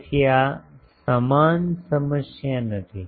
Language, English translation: Gujarati, So, this is not the same problem